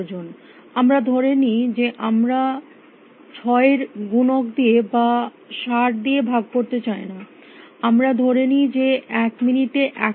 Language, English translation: Bengali, Let us assume we do not want to divide by 6 multiply divide by 60 and all that let us assume that a 100 seconds in a minute